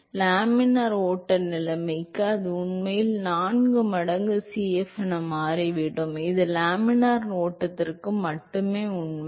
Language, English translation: Tamil, So, this is, so for laminar flow conditions it actually turns out that it is 4 times Cf, it is only true for laminar flow